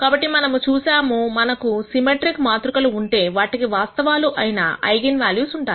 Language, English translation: Telugu, So, we saw that, if we have symmetric matrices, they have real eigenvalues